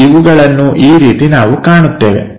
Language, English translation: Kannada, And these this is the way we will see